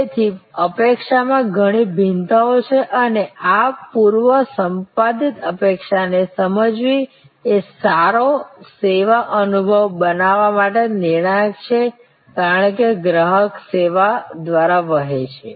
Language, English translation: Gujarati, So, there are many different variations in expectation and understanding this pre encounter expectation is crucial for creating a good service experience, as the customer flows through the service